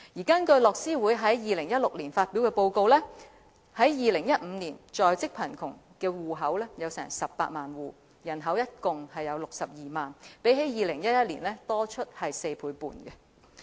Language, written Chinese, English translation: Cantonese, 根據樂施會2016年發表的報告 ，2015 年在職貧窮的戶口有18萬戶，人口共62萬，較2011年多出4倍半。, According to the report published by Oxfam in 2016 the number of working poor households in 2015 was 180 000 with a population of 620 000 which is 4.5 times of that in 2011